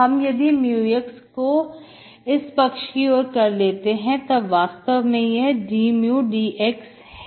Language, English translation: Hindi, If I take mu x this side, that is actually d mu by dx